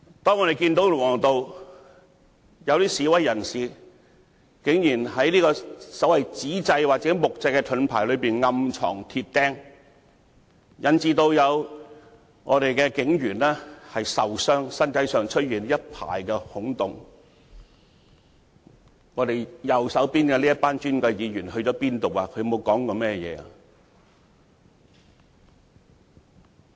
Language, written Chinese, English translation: Cantonese, 當我們看到龍和道有示威人士，竟然在紙製或木製盾牌暗藏鐵釘，引致有警員受傷，身上出現一排孔洞，當時坐在我們右手邊的這群尊貴議員往哪裏去了？, Where were these Honourable Members sitting on our right hand side when we saw protesters in Lung Wo Road hiding iron nails behind paper or wooden shields that caused injuries to the police officers with a row of holes in their bodies?